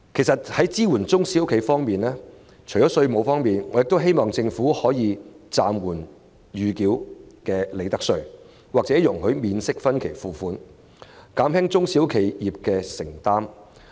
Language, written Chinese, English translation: Cantonese, 在支援中小企方面，除了稅務寬減，我希望政府容許暫緩繳付暫繳利得稅或容許免息分期付款，以減輕中小企業的負擔。, In respect of supporting SMEs we hope that in addition to the tax reduction the Government will allow the holding over of provisional profits tax or payment in interest - free instalments so as to alleviate the burden on SMEs